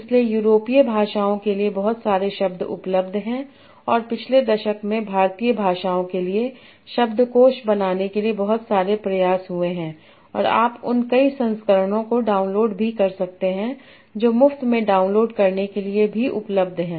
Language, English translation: Hindi, So there are a lot of wordnets available for European languages and a lot of effort has happened in the last decade for building wordnets for Indian languages and that you can also download many many of those versions are also available for download free